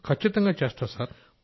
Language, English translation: Telugu, Yes, absolutely Sir